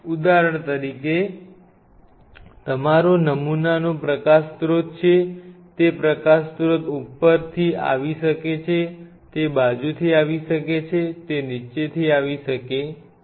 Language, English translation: Gujarati, Say for example, this is why your sample is light source may come from top light source may come from side light source may come from bottom